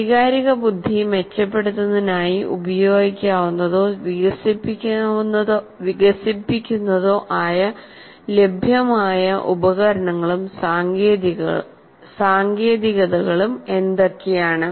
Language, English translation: Malayalam, And what are the tools and techniques that are available or that can be used or to be developed for improving emotional intelligence